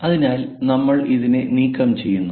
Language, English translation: Malayalam, So, we are removing this